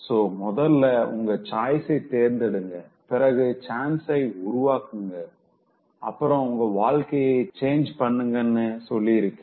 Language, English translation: Tamil, ( So, I said that first make choice and then take chance and then try to change your life